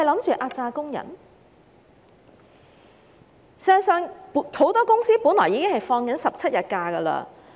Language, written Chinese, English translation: Cantonese, 事實上，很多公司僱員一直放取17天假期。, In fact many companies are currently offering their employees 17 days of holidays